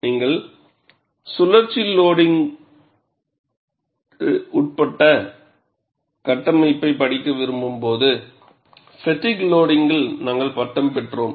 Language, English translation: Tamil, Then we graduated for fatigue loading when you want to study structure subject to cyclical load